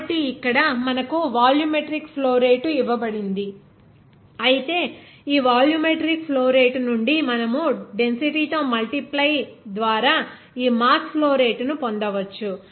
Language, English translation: Telugu, So, here it is given to you that volumetric flow rate whereas from this volumetric flow rate you can get this mass flow rate just by multiplying it by density